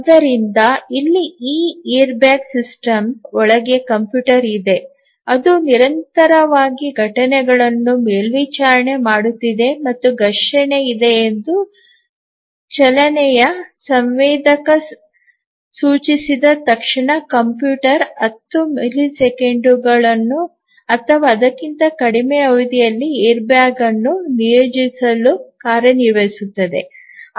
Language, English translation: Kannada, So, here just look at it that there is a computer inside this airbag system which is continuously monitoring the events and as soon as the motion sensor indicates that there is a collision the computer acts to deploy the airbag within 10 millisecond or less